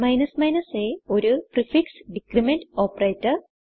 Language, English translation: Malayalam, a is a prefix decrement operator